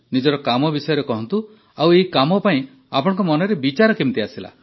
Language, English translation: Odia, Tell us about your work and how did you get the idea behind this work